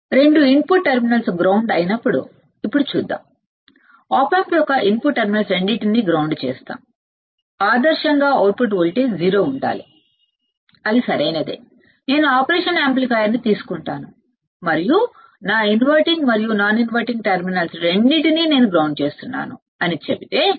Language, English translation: Telugu, Let us see now when both the terminals both the input terminals are grounded both the input terminals of what both the input terminals of op amp both the input terminals of op amps are grounded ideally the output voltage should be 0 that is correct right, if I take the operation amplifier and if I say that my inverting and non inverting terminals both I am grounding both I am grounding the output voltage should be V o should be 0 correct this is what I am assuming because I have grounded this I have grounded this no voltage at the input output should be 0